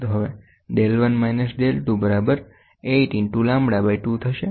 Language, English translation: Gujarati, So now del 1 minus del 2 will be equal to 8 into lambda by 2, ok